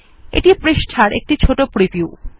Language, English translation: Bengali, Here is a small preview of the page